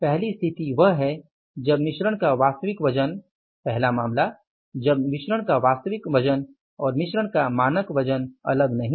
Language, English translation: Hindi, The first situation is when the actual weight of the mix first case when the actual weight of mix and the actual weight of the mix and the standard weight of the mix, do not differ